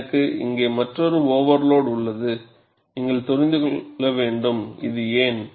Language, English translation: Tamil, And I have another overload here; another overload here; you have to know why is this so